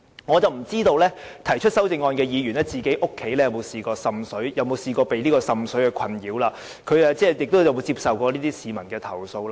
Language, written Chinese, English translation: Cantonese, 我不知道提出上述修正案的議員，家中有否曾受滲水困擾，或有否處理過市民的類似投訴。, I do not know whether the proponents of these amendments have ever experienced any water seepage in their homes or whether they have ever handled any such complaints from the public